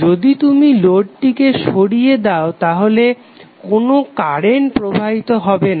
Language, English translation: Bengali, So if you remove these the load, no current will be flowing